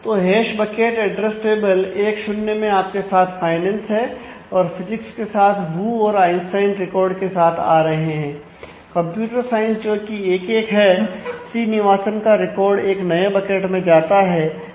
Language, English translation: Hindi, So, in the hash bucket address table 1 0 you have finance and physics coming in with Wu and Einstein records and computer science which has got 1 1 the Srinivasan record goes to a new bucket which comes from 1 1 here